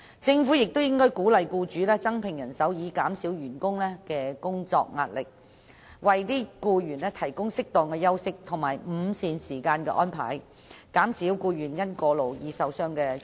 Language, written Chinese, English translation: Cantonese, 政府亦應鼓勵僱主增聘人手，以紓緩員工的工作壓力，並為僱員安排適當的休息和午膳時間，以免僱員因過勞而受傷或患病。, The Government should also encourage employers to recruit additional workers thereby relieving work pressure of their employees and make appropriate arrangements for their employees to have short break and lunch break so that they will not get injured or become ill because of overwork